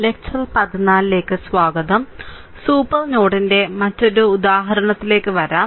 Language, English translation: Malayalam, So, come to your another example of super node